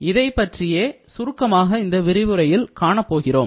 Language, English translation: Tamil, So, this is what will be, in a nutshell, covered in this lecture